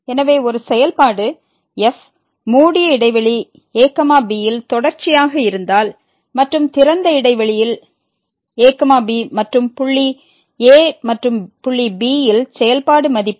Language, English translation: Tamil, So, if a function is continuous in a closed interval and differentiable in open interval and the function value at the point and the point